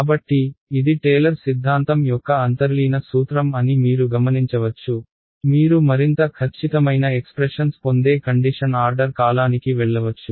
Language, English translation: Telugu, So, you notice that this is the underlying principle is Taylor’s theorem, you can keep going to higher order term you will get more and more accurate expressions